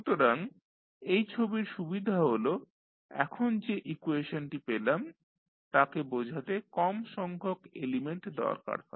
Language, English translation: Bengali, So, the advantage of this particular figure is that you need fewer element to show the equation which we just derived